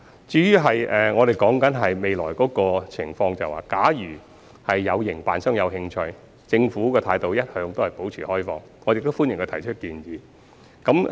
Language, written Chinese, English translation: Cantonese, 至於未來的情況，假如有營辦商有興趣，政府的態度一直保持開放，亦歡迎他們提出建議。, Speaking of the situation in the future if any operators show interest the Government always maintains an open attitude and welcomes any proposals from them